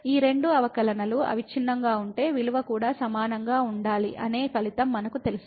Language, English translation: Telugu, And we know the result that if these 2 derivatives are continuous then the value should be also equal